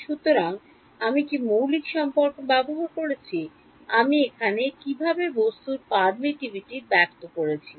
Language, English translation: Bengali, So, what is a constitutive relation I used, how would I introduce the permittivity of the object in here